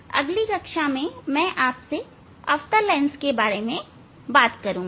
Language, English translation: Hindi, In next class I will discuss for concave lens